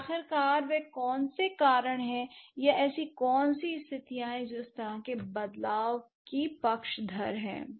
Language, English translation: Hindi, And finally, what are the reasons for which or what are the conditions which favored such a change